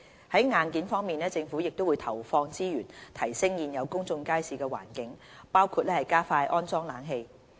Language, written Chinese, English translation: Cantonese, 在硬件方面，政府會投放資源提升現有公眾街市的環境，包括加快安裝冷氣。, As far as the hardware is concerned the Government will allocate resources to improve the environment of existing public markets